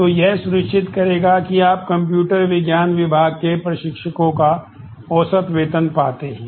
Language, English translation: Hindi, So, this will ensure, that you find the average salary of instructors in computer science department